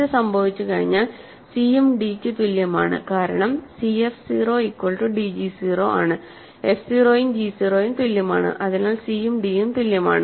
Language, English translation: Malayalam, Once this happens, c equal to d also because c f 0 is equal to d g 0, f 0 and g 0 are same, so c and d are same